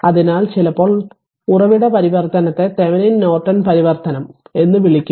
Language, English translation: Malayalam, So, sometimes the source transformation we call Thevenin Norton transformation